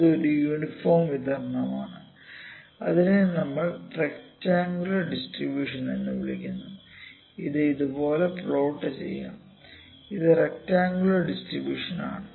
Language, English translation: Malayalam, We can say that, there is nothing happening this is uniform distribution that is what we call rectangular it can be plotted like this, this is rectangular distribution